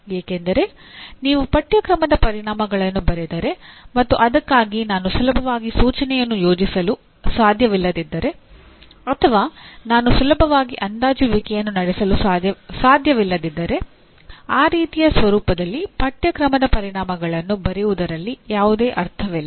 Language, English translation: Kannada, Because if you write a course outcome for which I cannot easily plan instruction or I cannot easily assess; there is no point in writing a course outcome in that kind of format